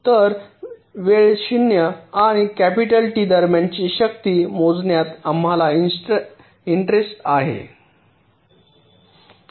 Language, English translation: Marathi, so we are interested to measure the power between time zero and capital t